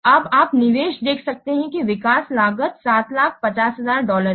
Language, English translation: Hindi, You can see that the development cost is $7,000